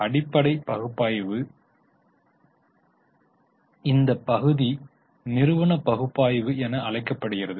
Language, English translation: Tamil, This part of fundamental analysis is known as company analysis